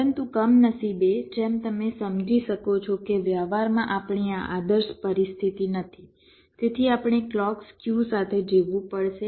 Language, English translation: Gujarati, but unfortunately, as you can understand, we cannot have this ideal situation in practice, so we will have to live with clock skew